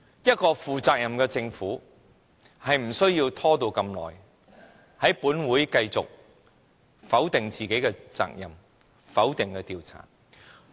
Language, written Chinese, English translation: Cantonese, 一個負責任的政府，是不會拖延這麼久的，也不會在本會繼續否定自己的責任，否定調查。, A responsible Government will not put up such a long delay or keep denying its responsibility and opposing an inquiry in this Council